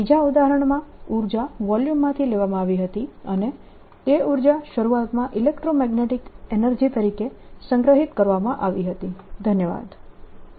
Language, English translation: Gujarati, in the other example, the energy was taken away from a volume and that energy initially was stored as electromagnetic energy